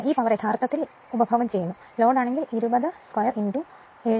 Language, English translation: Malayalam, This power is actually consumed by the load if you look into that 20 square into 7